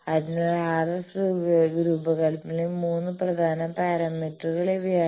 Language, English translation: Malayalam, So, these are the three very important parameters in RF design